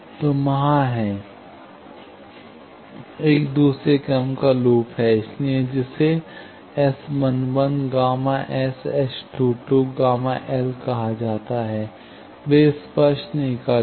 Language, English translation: Hindi, So, there are, there is one second order loop; so, that is called S 11 gamma S and S 2 2 gamma L, they do not touch